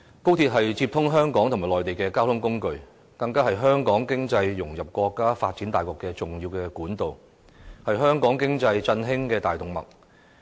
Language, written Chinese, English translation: Cantonese, 高鐵是接通香港與內地的交通工具，是香港融入國家經濟發展大局的重要管道，是振興香港經濟的大動脈。, XRL is a means of transport that connects Hong Kong to the Mainland . It is an important channel enabling Hong Kong to integrate into the economy of the entire country . It is a main artery revitalizing Hong Kongs economy